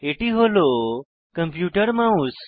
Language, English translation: Bengali, This is the computer mouse